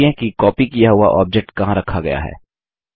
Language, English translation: Hindi, Check where the copied object is placed